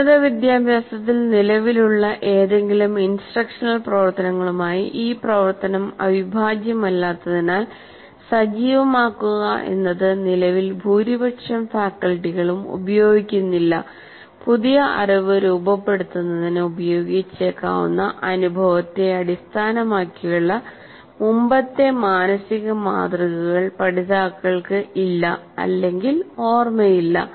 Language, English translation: Malayalam, So learners, because that activity is not integral to any of the present practices of instruction in higher education, as activating is not used by majority of the faculty at present, learners lack or may not recall previous mental models based on experience that can be used to structure the new knowledge